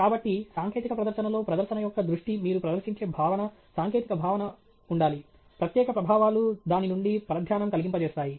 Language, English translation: Telugu, So, in a technical presentation, the focus of the presentation should be the content the technical content that you are presenting; special effects tend to distract from it